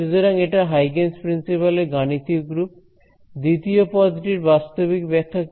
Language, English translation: Bengali, So, this is the mathematical form of Huygens principal, what is the physical interpretation of the second term